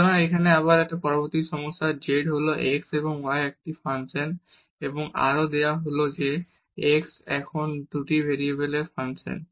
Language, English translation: Bengali, So, again next problem here z is a function of x and y and further it is given that x is a function of 2 variables now